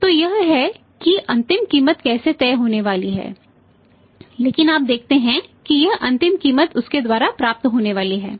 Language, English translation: Hindi, So, he is; this is the final price going to be decided but you see this final price is going to be received by him